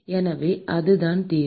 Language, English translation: Tamil, So, that is the solution